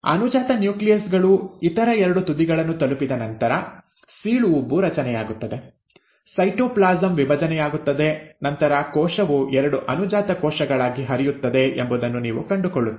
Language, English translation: Kannada, You find that once the daughter nuclei have reached the other two ends, there is a formation of cleavage furrow, the cytoplasm divides and then, the cell pinches off into two daughter cells